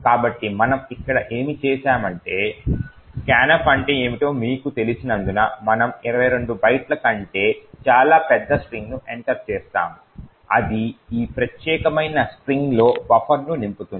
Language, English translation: Telugu, So, what we have done here is we have entered a very large string much larger than 22 bytes as you know what is scanf does is that it would fill the buffer 2 with this particular string